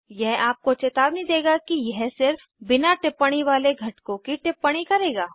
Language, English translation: Hindi, This will warn you that it will annotate only the un annotate components